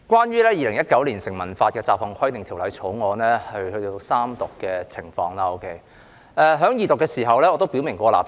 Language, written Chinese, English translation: Cantonese, 《2019年成文法條例草案》已進入三讀階段，而我在二讀辯論時已表明我的立場。, We are now in the Third Reading debate of the Statute Law Bill 2019 the Bill and I have already expressed my stance clearly in the Second Reading debate